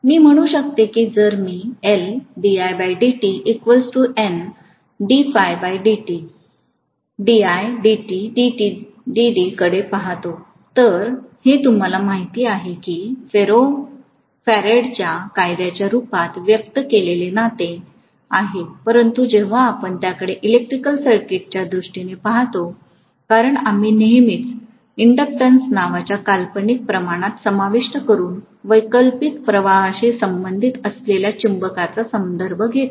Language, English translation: Marathi, I can say that if I look at L Di by Dt equal to N D phi by Dt, this is a you know relationship expressed in the form of Faraday’s law but when we look at it in terms of electrical circuit; because we always refer to the magnetism that is occurring associated with the alternating current by including a fictitious quantity called inductance